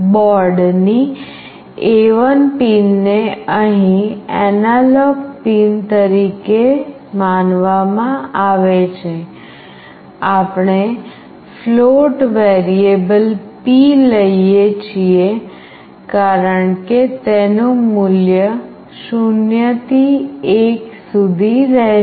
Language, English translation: Gujarati, The A1 pin of the board is considered as the analog pin here, we take a float variable p because it will get a value ranging from 0 to 1